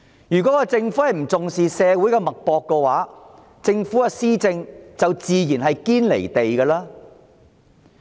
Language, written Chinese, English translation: Cantonese, 如果政府不重視社會脈搏，它的施政自然"堅離地"。, If the Government disregards the importance of taking the pulse of society its policies will not be realistic